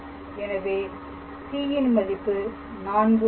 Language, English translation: Tamil, So, that c is 4